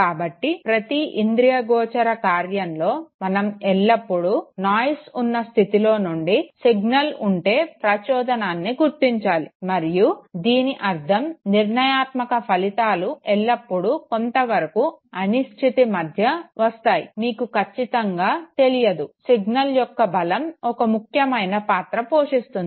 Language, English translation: Telugu, So in a given perceptual task one is always supposed to detect the signal, that is the stimuli against the non signal, that is the noise okay, and this means that the decision outcomes always comes amidst certain degree of uncertainty okay, you are not very certain, the strength of the signal plays an important role